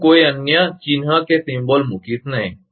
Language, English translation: Gujarati, I will not put some other symbol